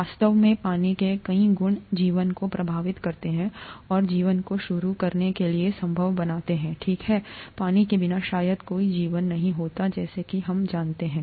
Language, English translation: Hindi, In fact many properties of water impact life and make life possible to begin with okay, without water probably there won’t have been a life as we know it